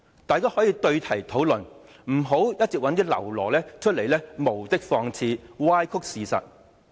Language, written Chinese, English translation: Cantonese, 大家可以對題討論，不要一直找一些僂儸出來無的放矢、歪曲事實。, We can engage in a focused discussion . Please do not keep sending out some lackeys to aimlessly attack and distort the facts